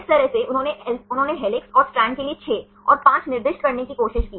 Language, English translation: Hindi, This is how they tried to assign 6 and 5 for the helixes and strands